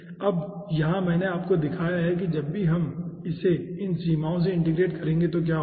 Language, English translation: Hindi, okay, now here i have shown you ah, what will be happening whenever we integrate this 1 over the limits of this 1